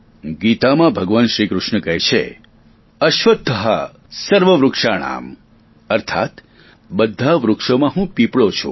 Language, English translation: Gujarati, In the Gita, Bhagwan Shri Krishna says, 'ashwatth sarvvrikshanam' which means amongst all trees, I am the Peepal Tree